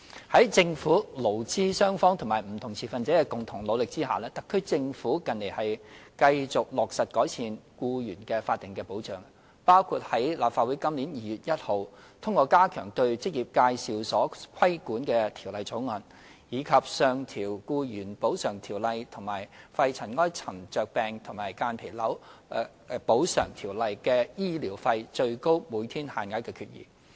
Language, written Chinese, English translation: Cantonese, 在政府、勞資雙方及不同持份者的共同努力下，特區政府近年繼續落實改善僱員法定保障，包括立法會於今年2月1日通過加強對職業介紹所規管的條例草案，以及上調《僱員補償條例》及《肺塵埃沉着病及間皮瘤條例》的醫療費最高每天限額的決議。, With the concerted efforts of the Government employees and employers as well as various stakeholders the SAR Government has in recent years continued to improve statutory protection for employees including the passage of the bill on 1 February this year on the regulation of employment agencies and resolutions on increasing the maximum daily rates of medical expenses under the Employees Compensation Ordinance and the Pneumoconiosis and Mesothelioma Compensation Ordinance